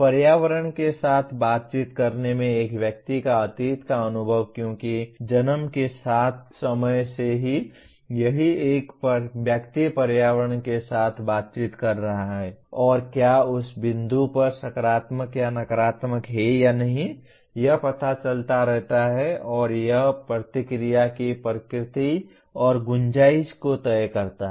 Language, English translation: Hindi, A person’s past experience in interacting with the environment because right from the time of birth, a person is interacting with environment; and whether it is positive or negative at that particular point keeps on getting imprinted and that is what decides the nature and scope of affective responses